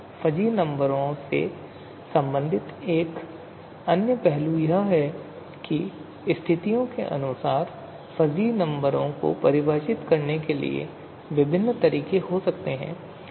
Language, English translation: Hindi, So you know, so another aspect related to fuzzy numbers is that there could be different way you know fuzzy numbers can be defined further according to situation